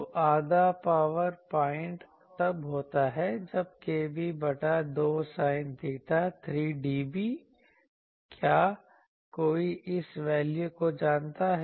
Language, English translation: Hindi, So, Half power point, point occurs when kb by 2 sin theta 3 dB; is anyone knows this value